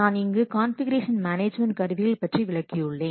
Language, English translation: Tamil, So these are the configuration management tools